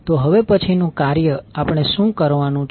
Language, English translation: Gujarati, So the next task what we have to do